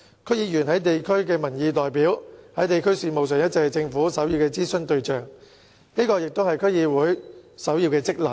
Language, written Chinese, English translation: Cantonese, 區議員是地區民意代表，在地區事務上一直是政府首要的諮詢對象，這也是區議會的首要職能。, DC members are representatives of public opinion and have been the primary objects of consultations carried out by the Government and this is also the primary function of DCs